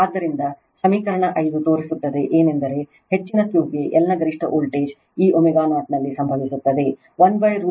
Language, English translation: Kannada, So, equation 5 shows that for a high Q the maximum voltage your across L occurs at your this omega 0 approximately 1 upon root over L C